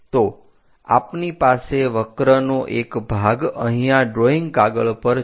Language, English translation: Gujarati, So, we have a part of the curve here on the drawing sheet